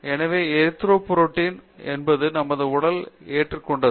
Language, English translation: Tamil, So, Erythropoietin is what we have it our body